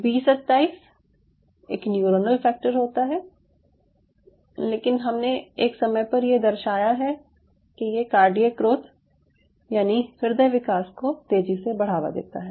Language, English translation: Hindi, an b twenty seven is a neuronal factor, but we showed at one point that this supports cardiac growth